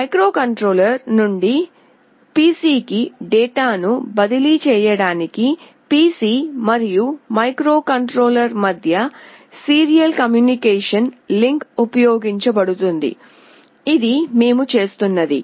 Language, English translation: Telugu, A serial communication link between the PC and the microcontroller is used to transfer data from microcontroller to PC, which is what we will be doing